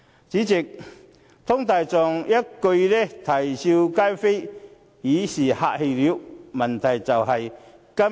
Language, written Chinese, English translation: Cantonese, 主席，湯大狀一句"啼笑皆非"已是客氣了。, President Mr TONG was being polite for using the word awkward